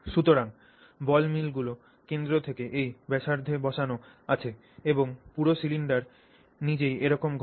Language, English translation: Bengali, So, the ball mills are now held on this, you know, at this radius from the center and the entire cylinder itself is now roaming around like this